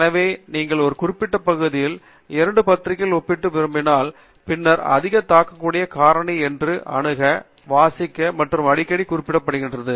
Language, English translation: Tamil, So, if you want to compare two journals in a particular area, then the one with the higher impact factor is being accessed, read, and referred more often